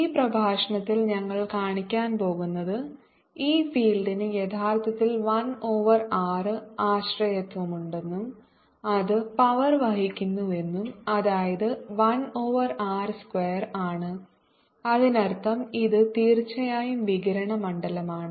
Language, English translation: Malayalam, in this lecture we are going to show that this field indeed has a, an r dependence and carries out power that is one over r square, and then that means this is indeed radiation field